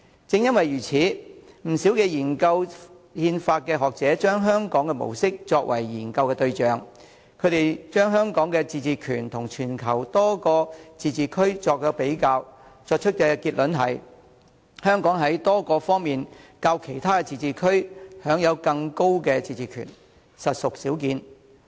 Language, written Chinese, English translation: Cantonese, 正因如此，不少研究憲法的學者把香港模式作為研究對象，把香港與全球多個自治區作比較，得出的結論是：香港在多方面較其他自治區享有更高的自治權，實屬少見。, Because of that many scholars of constitutional law have studied the Hong Kong model and compared it with many autonomous regions in the world . Their conclusion is that Hong Kong enjoys a higher degree of autonomy than other autonomous regions in many aspects . That is quite uncommon